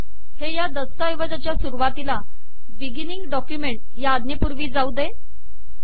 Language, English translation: Marathi, This should go to the beginning of this document before the beginning document command